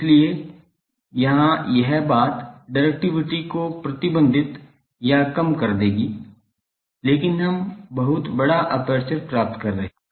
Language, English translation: Hindi, So, here this thing will restrict or reduce the directivity, but we are getting much larger aperture